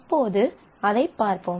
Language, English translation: Tamil, So, let us look into that